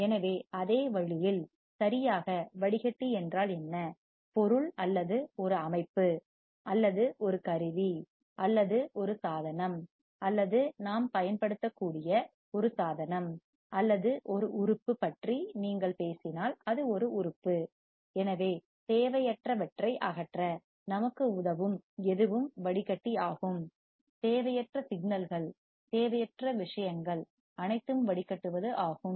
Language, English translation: Tamil, So, same way, what does exactly filter means, that the thing or a system or a tool or a device that we can use or an organ if you take talk about it is an organ, so anything that can help us to remove the unwanted signals, unwanted things